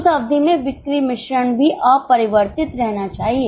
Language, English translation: Hindi, Sales mix should also remain unchanged in that period